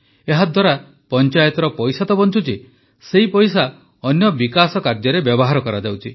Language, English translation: Odia, The money saved by the Panchayat through this scheme is being used for other developmental works